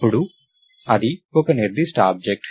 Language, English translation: Telugu, Then, thats a specific object